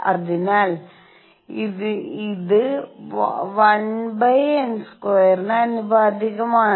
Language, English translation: Malayalam, So, this is proportional to 1 over n square